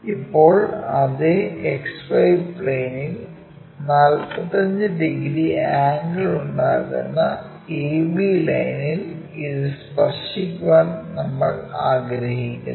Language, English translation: Malayalam, Now on the same X Y plane we want to touch this a b line which is making 45 degrees angle